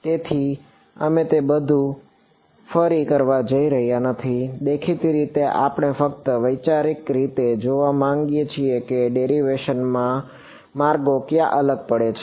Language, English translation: Gujarati, So, we are not going to a redo all of it; obviously, we just want to see conceptually where does the paths diverge in the derivation